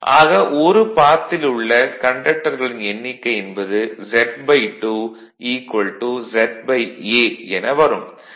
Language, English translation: Tamil, Then that mean number of conductors in one path Z by 2 is equal to Z by A right